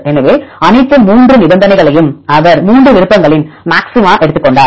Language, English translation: Tamil, So, all the 3 conditions he took the maxima of all 3 options